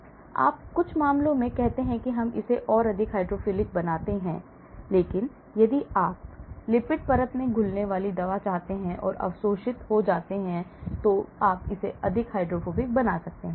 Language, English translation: Hindi, so you see in some cases we say make it more hydrophilic but if you want a drug to dissolve in the lipid layer and get absorbed you want it more hydrophobic